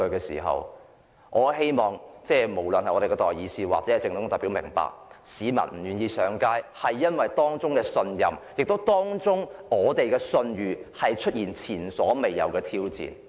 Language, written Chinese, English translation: Cantonese, 所以，我很希望代議士及政府代表都明白，市民不願意上街，原因可能是當中的信任已經出現前所未見的挑戰。, Therefore I very much hope that representatives of public opinions and government officials will understand some members of the public are not willing to take to the streets probably because their trust has unprecedentedly been challenged